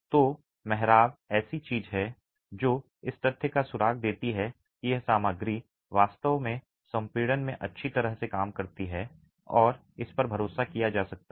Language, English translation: Hindi, So, arches are something that give clue to the fact that this material really works well in compression and can be relied upon